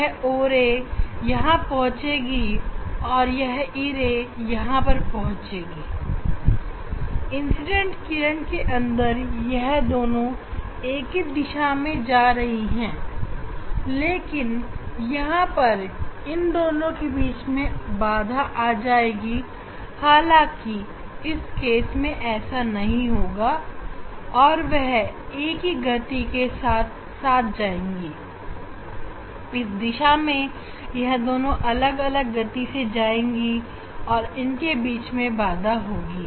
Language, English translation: Hindi, this the o ray, this is the o ray, when it will reach here, e ray will reach here, as if this same incident ray inside they are moving in the same direction, but there will be retardation between these o ray and e ray whereas, in this case it will not happen, they will move in with the same velocity, here they are moving with different velocity